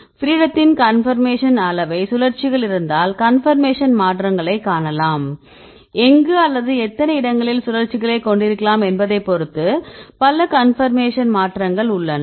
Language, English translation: Tamil, Then if you see the conformation degrees of freedom right, because you have the rotations right you can see the conformation changes, there are several conformation changes depending upon where or how many places where we can have the rotations